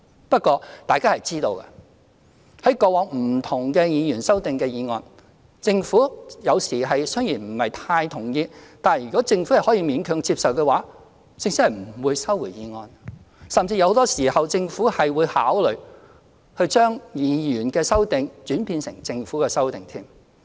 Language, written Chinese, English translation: Cantonese, 不過，大家都知道，對於過往不同的議員修正案，政府有時雖然不是太同意，但如果政府可以勉強接受的話，政府是不會收回法案的，甚至很多時候政府會考慮將議員的修正案轉變成政府的修正案。, However as everyone knows while there were occasions when the Government did not quite agree with various amendments proposed by Members as long as the Government reckoned that it could grudgingly accept those amendments it would not withdraw the bills concerned . In many cases the Government would even consider turning Members amendments into its own amendments